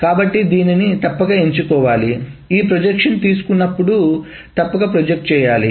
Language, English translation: Telugu, So it must be selected, it must be projected when this projection is being taken